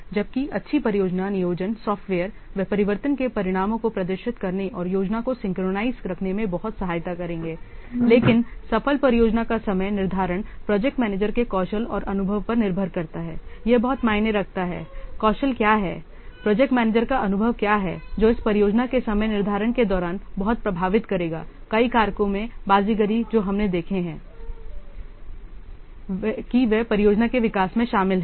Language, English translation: Hindi, So, so while some the good project planning software they will assist greatly in demonstrating the consequences of changes and keeping the planning synchronized, the successful project scheduling is totally dependent, is largely dependent on the skill and experience of the project manager in juggling the many factors involved in the project development